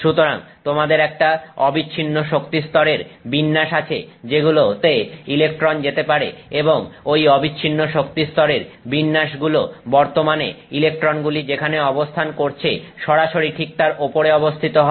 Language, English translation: Bengali, So, you have a continuous set of energy levels to which these electrons can move and those continuous set of energy levels begin almost directly above the energy level that which, at which the electron is currently situated